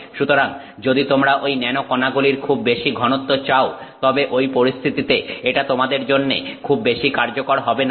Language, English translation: Bengali, So, if you want a very high concentration of nanoparticles, then this may not be very useful for you in those circumstances